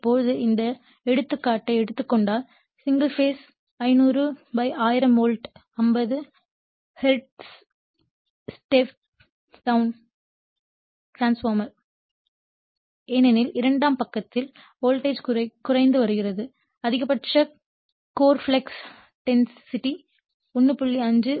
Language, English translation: Tamil, So, now if you take this example single phase 500 / 1000 volt 50 hertz then it will also a step down transformer because voltage is getting reduced on the secondary side has a maximum core flux density is 1